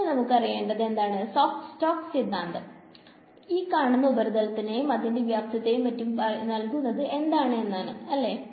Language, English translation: Malayalam, And we want to know what is the Stoke’s theorem saying for such a volume for such a surface over here right